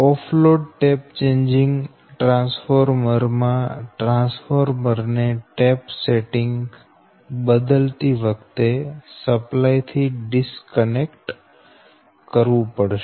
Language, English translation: Gujarati, the off load tap changing transformer requires the disconnection of the transformer from the supply or ah when the tap setting is to be changed